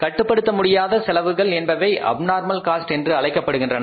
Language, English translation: Tamil, Uncontrollable costs are we say they are the abnormal cost